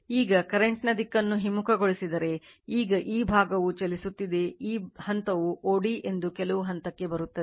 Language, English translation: Kannada, Now, further if you reverse the direction of the current right, now this side you are moving, you will come to some point o d right that this point o d